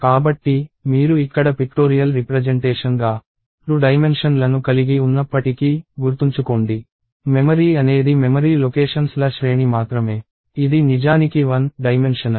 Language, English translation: Telugu, So, even though you have 2 dimensions as a pictorial representation here, remember – memory is just a sequence of memory locations; it is actually 1 dimensional